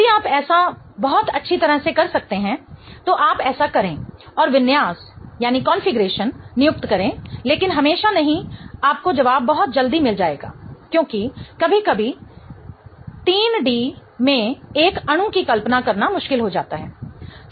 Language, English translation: Hindi, If you can do that very well you do that and assign the configuration but not always you will get the answer very quickly because sometimes it becomes tricky to imagine a molecule in 3D